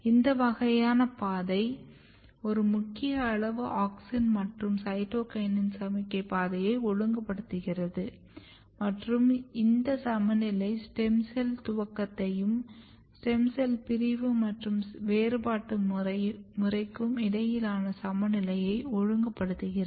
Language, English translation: Tamil, And this kind of pathway regulating a critical amount of auxin and cytokinin signaling pathway and this critical balance is regulating stem cell initiation and a balance between stem cell division and cell differentiation program